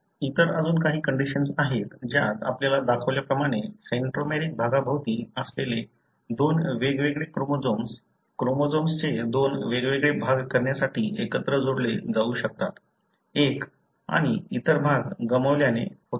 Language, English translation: Marathi, There are other conditions, wherein you have, as shown here, two different chromosomes involving around the centromeric region, can fuse together to have two different halves of the chromosome as one and other regions are lost